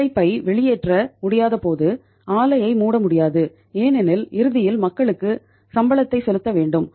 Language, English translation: Tamil, When the labour cannot be thrown out plant cannot be shut because ultimately have to pay the salaries to the people